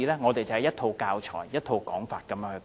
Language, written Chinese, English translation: Cantonese, 當時亦只有一套教材、一套說法。, At that time there was only one set of teaching materials and one viewpoint